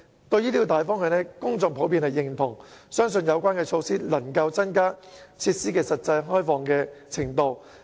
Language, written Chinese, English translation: Cantonese, 對於這個大方向，公眾普遍認同，相信有關措施能夠增加設施的實際開放程度。, The public generally recognize this major direction and believe that the facilities can actually be opened up to a greater extent through this measure